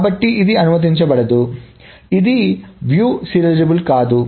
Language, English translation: Telugu, So, this is not view serializable